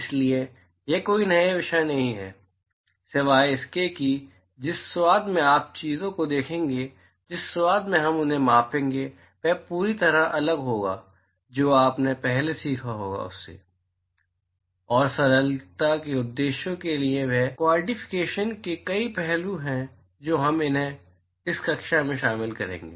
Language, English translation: Hindi, So, it is not a new topic except that the flavour in which you would see things, the flavour in which we would quantify them will be completely different from what you would have learned earlier, and for simplicity purposes they are several aspects of quantification which we will cover them in this class